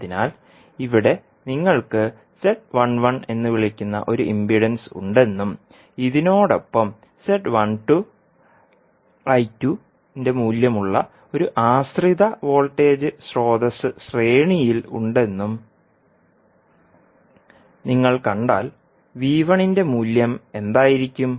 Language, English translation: Malayalam, So, here, if you see you have one impedance that is called Z11 and in series with you will have one dependent voltage source that is having the value of Z12 I2, so what would be the value of V1